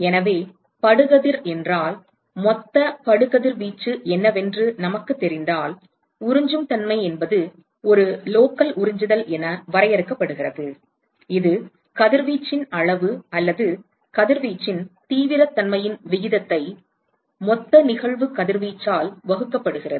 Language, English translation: Tamil, So, if the incident ray if we know what are the total incident radiation then the absorptivity is simply defined as a local absorptivity is simply defined as the ratio of the amount of radiation or intensity of radiation that is absorbed divided by the total incident radiation